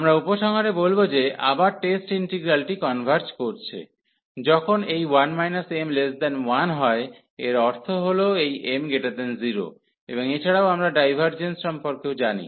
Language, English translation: Bengali, And here we will conclude that again the test integral converges, when this 1 minus m this power here less than 1 meaning this m greater than 0, and also we know about the divergence as well